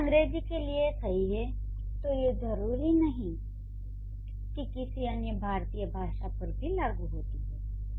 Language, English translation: Hindi, If it works for English doesn't mean that it will work for an Indian language for that matter